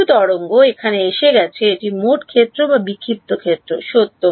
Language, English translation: Bengali, Some wave has come over here this is true in total field or scattered field